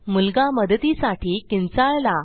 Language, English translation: Marathi, The boy screams for help